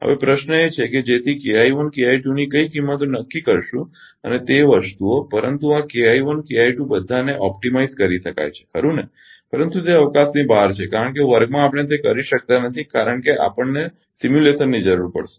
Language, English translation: Gujarati, Now, question is that so that what value of K I 1 K I 2 will choose and those things, but ah this this K I 1, K I 2 all can be optimised right, but those are beyond the scope because in the class we cannot do that because we need simulation